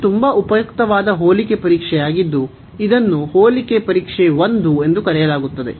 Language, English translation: Kannada, So, this is a very useful test comparison test it is called comparison test 1